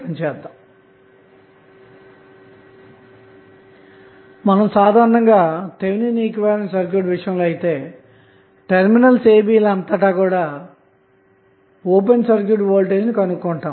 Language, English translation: Telugu, We have to utilize our the knowledge of Thevenin's theorem and we need to find out what would be the open circuit voltage across terminal a and b